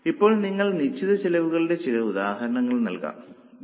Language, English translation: Malayalam, Now, can you give some examples of fixed costs